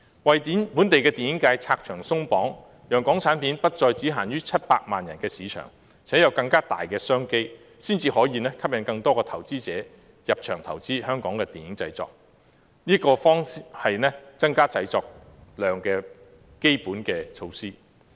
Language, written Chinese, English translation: Cantonese, 為本地電影界拆牆鬆綁，讓港產片不再只限於700萬人的市場，並提供更大的商機，才能吸引更多投資者入場投資香港的電影製作，這才是增加製作量的基本措施。, Hence many local film talents have chosen to seek opportunities northwards resulting in a succession problem . As a fundamental measure to boost production volume the Government should remove the barriers faced by the local film industry so as to expand the market of Hong Kong films to beyond 7 million people; and provide greater business opportunities to attract more investors to invest in Hong Kong film productions